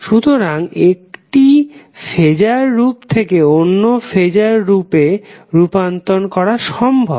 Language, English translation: Bengali, So it is possible to convert the phaser form one form to other form